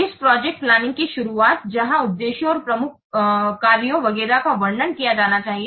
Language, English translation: Hindi, First, there will be a little bit of introduction of the project where the objectives and the major functions etc should be described